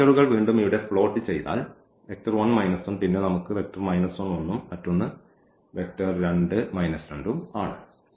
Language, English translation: Malayalam, So, now if we plot these vectors the one here 1 minus 1 then we have minus 1 1 and the other one is minus 2 and minus 2